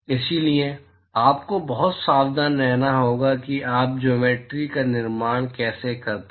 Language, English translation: Hindi, So, you have to be very careful how you construct the geometry